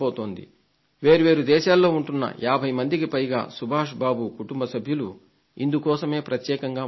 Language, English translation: Telugu, More than 50 family members of Subhash Babu's family who stay in different countries are specially coming down to attend this meeting